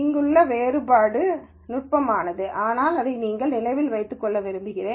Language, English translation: Tamil, So, the distinction here is subtle, but I want you to remember this